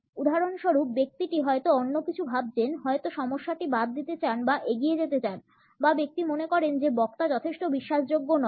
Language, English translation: Bengali, For example, the person may be thinking of something else would like to drop the issue or move on or the person thinks that the speaker is not convincing enough